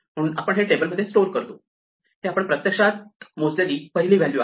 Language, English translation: Marathi, So, we store this in the table, this is the first value we have actually computed